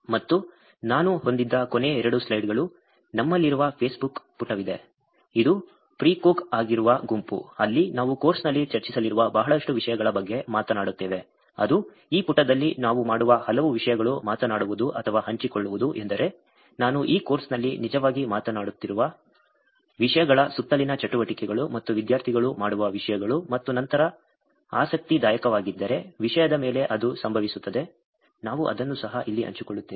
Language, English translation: Kannada, And last two slides I had was, there is Facebook page that we have, the group which is Precog where we actually talk about lot of things that we going to be discussing in the course also, which is in this page many of things that we talk about or share is the things activities that are around the topics that I have actually have been talking about in this course and things that the students do and then if there is interesting, that happens on the topic,we would also share it here